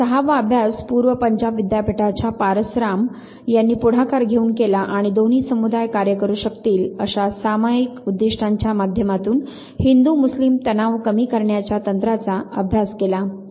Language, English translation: Marathi, And the 6th study was taken up by Pars Ram of East Punjab university as the leader and they took up a study of technique of reducing Hindu Muslim tension through the establishment of group goals towards which both communities may work